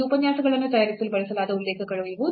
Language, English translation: Kannada, So, these are the references used for preparing these lectures